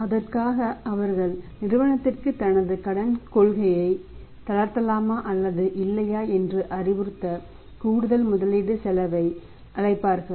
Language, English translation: Tamil, And for that they will have to call the additional investment cost to advice the firm to relax his credit policy or not